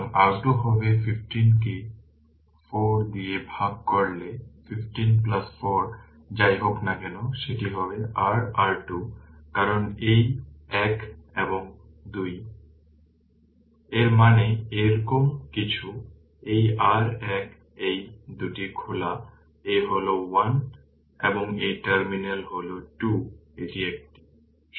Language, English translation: Bengali, So, R Thevenin will be 15 into 4 divided by 15 plus 4 whatever it comes, that will be your R Thevenin right because this one and 2 Ii mean it is something like this, This is your one these 2 are open this is 1 and this terminal is 2 this is one right